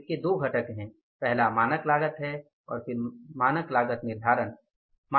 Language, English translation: Hindi, First is the standard cost and then it is the standard costing